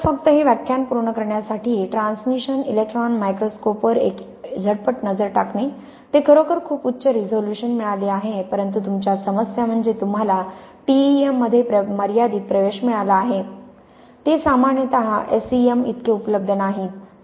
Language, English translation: Marathi, So just to finish this lecture a quick look at transmission electron microscope, it is really got much higher resolution but the problems you have is you have got limited access to T E M s they are generally not as much available as S E M s